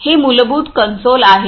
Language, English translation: Marathi, It is a it is the basic console